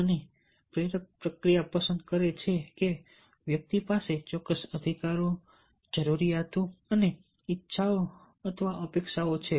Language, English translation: Gujarati, and the motivational process picks that individual, a certain drives, needs and wants our expectations